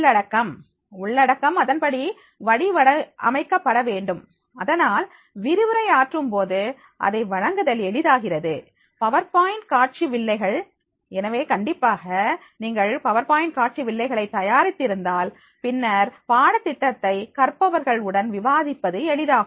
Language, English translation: Tamil, The contents, the contents are to be designed accordingly, so that it becomes easier to deliver at the time of the lectures, so for example, the PowerPoint slides, so definitely if you are prepared with the PowerPoint slide than that course curriculum will be easy to discuss with the learners